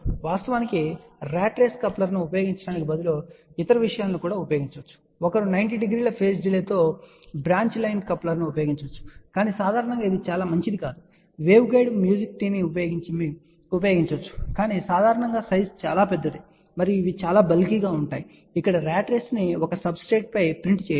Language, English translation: Telugu, Of course, instead of using a ratrace coupler, one can use other things also one can use branch line coupler with 90 degree delay, but generally it is not very preferable; one can use waveguide magic tee, but generally the size is very large and these are very bulky where a ratrace can be printed on a substrate